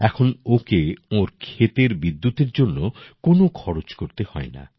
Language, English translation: Bengali, Now they do not have to spend anything on electricity for their farm